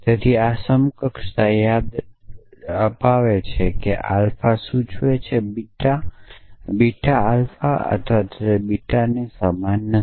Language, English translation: Gujarati, So, remember this equivalence which said that alpha implies beta is not equivalent to not alpha or beta